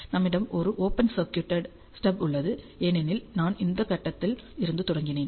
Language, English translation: Tamil, And then I will have an open circuited stub, because I started from this point